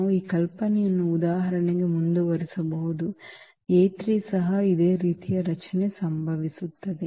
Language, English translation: Kannada, We can continue this idea for example, A 3 also the same similar structure will happen